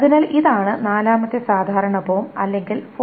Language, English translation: Malayalam, This is called the fifth normal form or 5NF in a similar manner